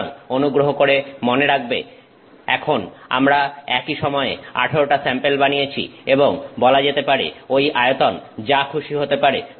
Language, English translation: Bengali, So, please remember now we have 18 samples made at the same time and those dimensions could be say anything